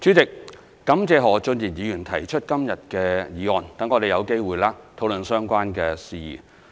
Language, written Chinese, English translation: Cantonese, 主席，我感謝何俊賢議員今天提出的議案，讓我們有機會討論相關事宜。, President I thank Mr Steven HO for proposing this motion today so that we can have an opportunity to discuss the related matters